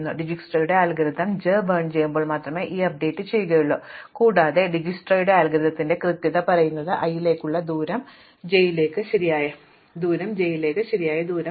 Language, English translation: Malayalam, So, in Dijsktra's algorithm we only do this update when we burn j and the correctness of Dijsktra's algorithm says that when we burnt j, the distance to j is the correct distance to j